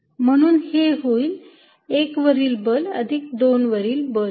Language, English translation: Marathi, So, this is going to be force due to 1 plus force due to 2